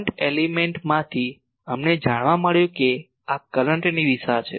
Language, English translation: Gujarati, From the current element we found out that this is the direction of the current